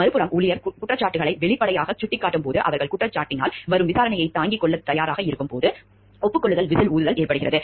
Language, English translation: Tamil, On the other hand, acknowledge whistle blowing occurs when the employee points out the accusations openly and is willing to withstand the inquiry brought on by his accusation